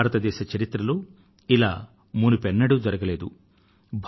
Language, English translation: Telugu, This is unprecedented in India's history